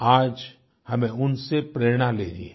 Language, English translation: Hindi, Today, we shall draw inspiration from them